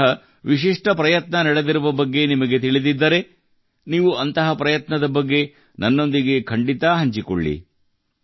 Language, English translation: Kannada, If you are aware of any such unique effort being made somewhere, then you must share that information with me as well